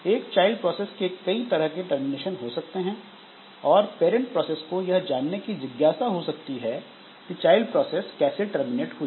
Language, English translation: Hindi, So, there may be different types of termination of a child process and this parent process may be interested to know in which way the child process terminated